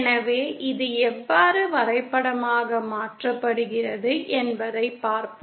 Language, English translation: Tamil, So let us see how it translates graphically